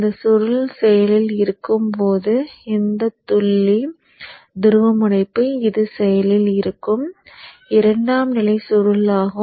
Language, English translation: Tamil, When this winding is action, this dot polarity, this is the secondary winding that is in action